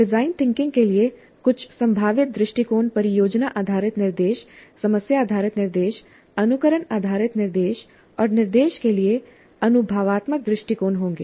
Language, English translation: Hindi, Some of the possible approaches for design thinking would be project based instruction, problem based instruction, simulation based instruction, experiential approach to instruction